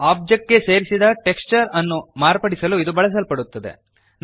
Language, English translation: Kannada, This is used to modify the texture added to an object